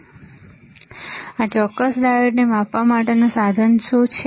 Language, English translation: Gujarati, So, what is equipment to measure this particular diode